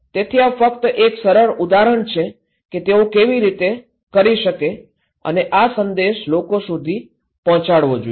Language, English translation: Gujarati, So, this is just one simple example that how they can do it and this message should be given to the people